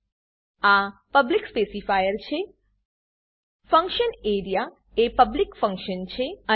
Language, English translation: Gujarati, This is the public specifier Function area is a public function